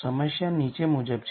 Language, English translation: Gujarati, The problem is the following